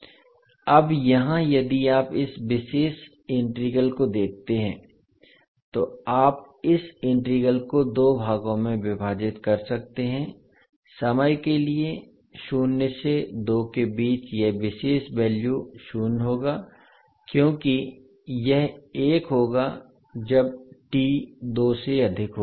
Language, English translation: Hindi, Now here if you see this particular integral you can divide this integral into two parts for time t ranging between zero to two this particular value will be zero because it will be one when t is greater than two